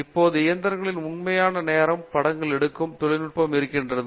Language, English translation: Tamil, So, we now have technology which can take real time images of actual engines